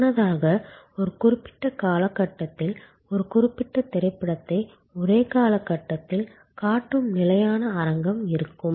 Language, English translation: Tamil, Earlier there was to be fixed auditorium showing one particular movie for in the same frame of time in a particular frame of time